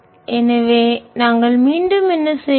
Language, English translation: Tamil, so what we will do again